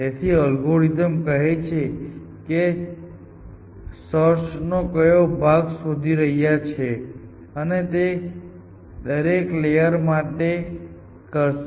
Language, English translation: Gujarati, So, it tells algorithm which part of the search space you are searching essentially and this it does